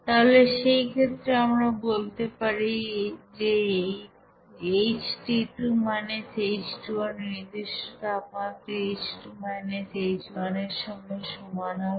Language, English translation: Bengali, So in that case we can say that this Ht2 – Ht1 that will be is equal to H2 – H1 if that temperature is kept constant